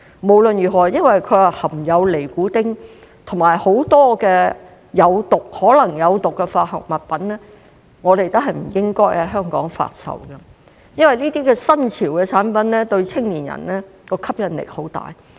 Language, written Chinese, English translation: Cantonese, 無論如何，因為它含有尼古丁及很多可能有毒的化學物品，我們都不應在香港發售，因為這些新潮的產品對青年人的吸引力很大。, As they contain nicotine and many potentially toxic chemicals we should not sell them in Hong Kong in any case . These new products are appealing to young people